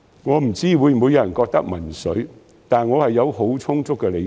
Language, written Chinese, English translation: Cantonese, 我不知會否有人認為民粹，但我是有很充足的理據的。, I wonder if anyone considers this a populist move but I have very good reasons for that